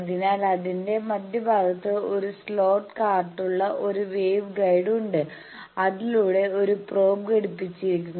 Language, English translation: Malayalam, So, that is why there is a wave guide with a slot cart at the central portion of that through which a probe is inserted